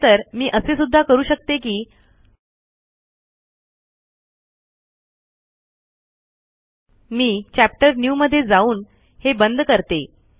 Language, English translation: Marathi, In fact, what I can do is, I can also go to, lets say chapter new, Let me close it